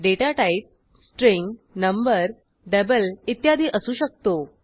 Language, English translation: Marathi, The data type can be string, number, double etc